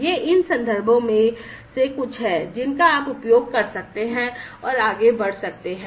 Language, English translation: Hindi, These are some of these references, which you could use and go through further